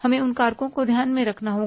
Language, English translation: Hindi, We will have to keep those factors in mind